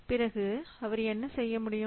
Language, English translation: Tamil, Then what he should do